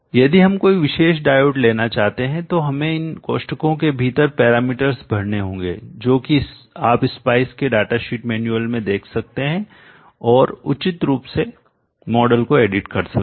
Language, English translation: Hindi, If we want to have any specific special diodes we may have to fill in the parameters within this parenthesis that you can look into the data sheet manual or spice and then appropriately edit the models